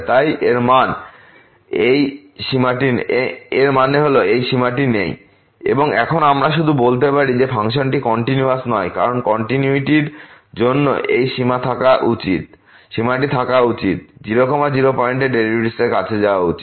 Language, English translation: Bengali, So; that means, this limit does not exist and now we can just say that the function is not continuous because for continuity this limit should exist and should approach to the derivative at 0 0 point